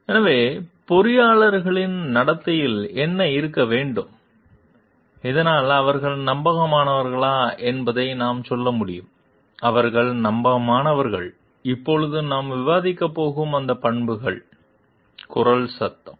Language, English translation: Tamil, So, what needs to be present in the behaviour of the engineers took so that we can tell like they are reliable, they are trustworthy; those characteristics we are going to discuss now [vocalised noise]